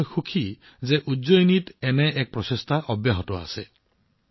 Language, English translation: Assamese, And I am happy that one such effort is going on in Ujjain these days